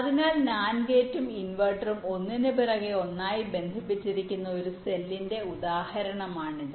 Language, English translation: Malayalam, so this is the example of a cell where nand gate and an, the inverter to connected one after to the other